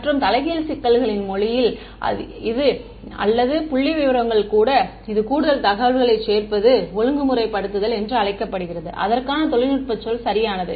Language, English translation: Tamil, And in the language of inverse problems this or even statistics this adding more information is called regularization that is the technical word for it ok